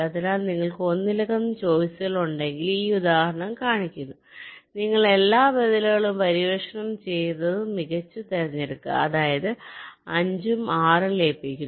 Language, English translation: Malayalam, so this example shows if you have multiple choices, you explore all the alternatives and select the best one, and that there is namely merging five and six